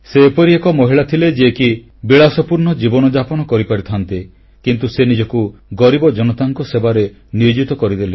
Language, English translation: Odia, She was a woman who could live a luxurious life but she dedicatedly worked for the poor